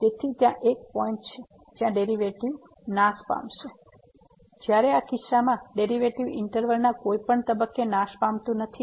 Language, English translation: Gujarati, So, there is a point where the derivative vanishes whereas, in this case the derivative does not vanish at any point in the interval